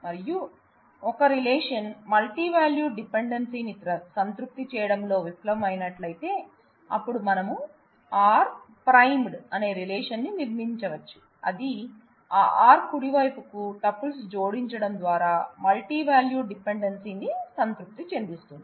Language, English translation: Telugu, And if a relation fails to satisfy a given multivalued dependency, then we can construct a relation R primed, that does satisfy the multi valued dependency by adding tuples to that r right